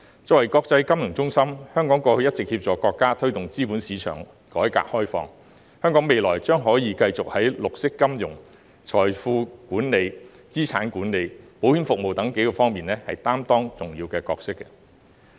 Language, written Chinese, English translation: Cantonese, 作為國際金融中心，香港過去一直協助國家推動資本市場改革開放，香港未來將可繼續在綠色金融、財富管理、資產管理和保險服務等方面擔當重要的角色。, As an international financial centre Hong Kong has been assisting the country in promoting reform and opening - up of the capital market . Looking ahead Hong Kong may continue to play an important role in green finance wealth management asset management and insurance services